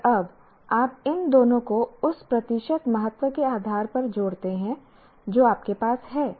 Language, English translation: Hindi, And now you add these two based on the percentage weightage that you have